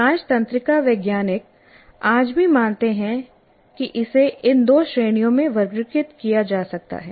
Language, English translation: Hindi, This is how majority of the neuroscientists, as of today, they believe it can be classified into two categories